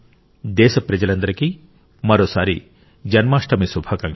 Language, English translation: Telugu, I once again wish all the countrymen a very Happy Janmashtami